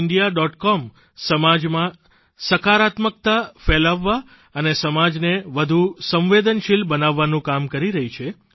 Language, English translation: Gujarati, com is doing great work in spreading positivity and infusing more sensitivity into society